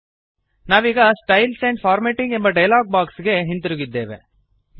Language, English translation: Kannada, We are back to the Styles and Formatting dialog box